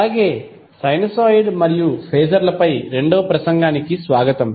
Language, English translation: Telugu, So, wake up to the second lecture on sinusoid and phasers